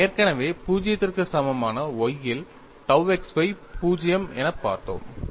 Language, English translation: Tamil, And we have already looked at, on the y equal to 0, tau xy is 0